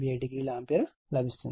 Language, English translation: Telugu, 87 degree ampere